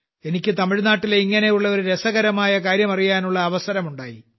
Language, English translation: Malayalam, I also got a chance to know about one such interesting endeavor from Tamil Nadu